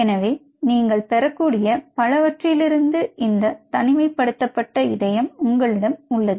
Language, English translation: Tamil, ok, so you have these isolated heart from as many you can get